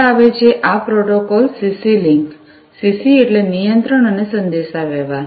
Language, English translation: Gujarati, Next comes, this protocol the CC link CC stands for Control and Communication